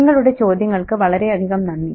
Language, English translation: Malayalam, Thank you so much for your questions